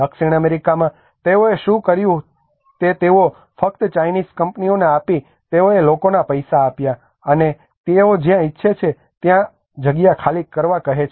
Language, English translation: Gujarati, In South America what they did was they just gave the Chinese companies they gave the money to the people, and they just ask them to vacate the places wherever they want they go